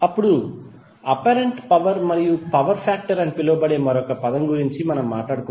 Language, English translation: Telugu, Now let’s talk about another term called apparent power and the power factor